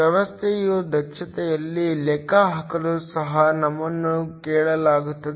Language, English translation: Kannada, We are also asked to calculate the efficiency of the system